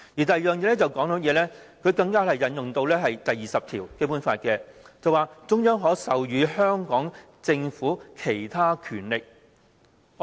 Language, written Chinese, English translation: Cantonese, 第二，政府更引用《基本法》第二十條，指中央政府可授予香港政府其他權力。, Second the Government has invoked Article 20 of the Basic Law which provides for the Central Governments granting of other powers to the Hong Kong Government